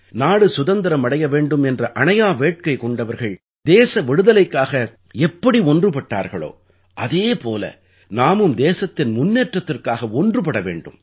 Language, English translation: Tamil, Just the way champion proponents of Freedom had joined hands for the cause, we have to come together for the development of the country